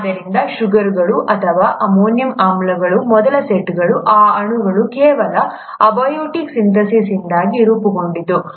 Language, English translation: Kannada, So the first set of sugars or amino acids would have been formed by a mere abiotic synthesis of these molecules